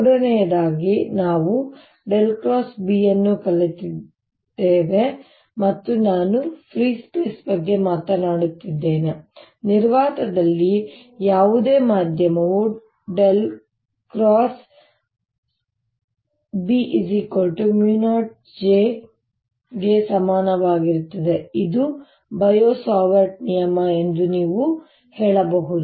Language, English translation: Kannada, third, we have learnt that curl of b and this i am talking in free space, there's no medium in vacuum is equal to mu zero, j, which you can say is bio savart law